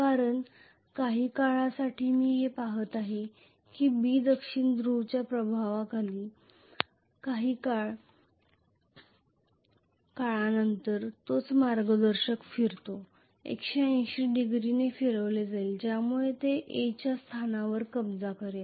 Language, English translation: Marathi, Because some for time I am going to see that B is under the influence of South Pole after sometime the same conductor will rotate, will be rotated by 180 degrees because of which it will occupied the position of A